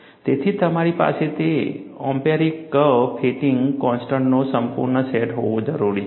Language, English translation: Gujarati, And, it also has a large database of empirical curve fitting constants